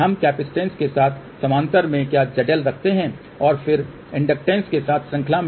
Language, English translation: Hindi, Z L in parallel with capacitance and then in series with inductor